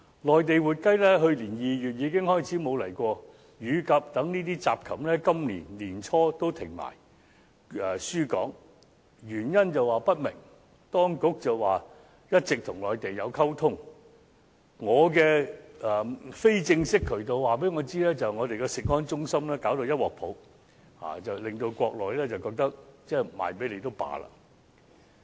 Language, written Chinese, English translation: Cantonese, 內地活雞自去年2月已經沒有供港，乳鴿等雜禽在今年年初也停止輸港，箇中原因不明，當局只表示一直有與內地溝通，而我從非正式的渠道得知，我們的食安中心弄到一團糟，令國內覺得不出售給香港也罷了。, The supply of Mainland live chickens to Hong Kong has stopped since February last year and the import of miscellaneous poultry such as baby pigeons has also ceased since the beginning of this year for unknown reasons . The authorities only said that they have all along maintained communication with the Mainland yet . I have learnt from unofficial sources that our CFS has created such a mess that the Mainland considers it not a big deal to stop the sale to Hong Kong